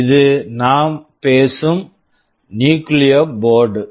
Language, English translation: Tamil, This is the Nucleo board which we are talking about